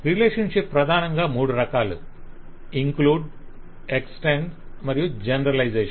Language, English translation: Telugu, So relationships are primarily of 3 kind: include, extend and generalization